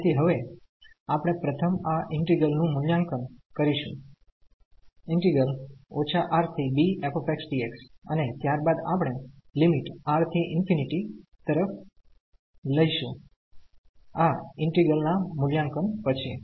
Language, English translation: Gujarati, So, now, we will evaluate this integral first from minus R to b f x dx and then we will take the limit as R tending to infinity after the evaluation of this integral